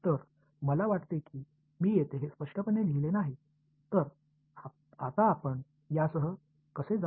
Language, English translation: Marathi, So, I think I will not clearly write it over here ok, so, now how do we actually proceed with this